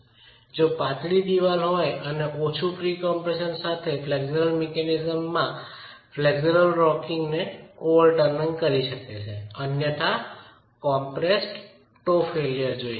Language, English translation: Gujarati, So, if you have slender wall, flexual mechanism with low pre compression can undergo overturning of flexual rocking, otherwise you can see the failure of the compressed toe itself